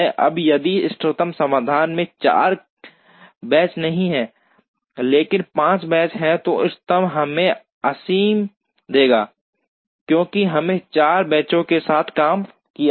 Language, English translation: Hindi, Now, in case the optimum solution does not have 4 benches, but has 5 benches then the optimum would give us infeasible, because we have worked with 4 benches